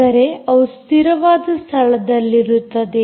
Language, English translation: Kannada, that means they are in fixed locations